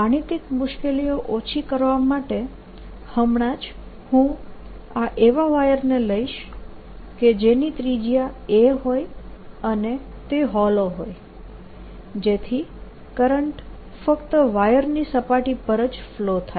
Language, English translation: Gujarati, to save myself from mathematical difficulties right now, i take this wire to be such that it has a radius a and is hollow, so that the current flows only on the surface of the wire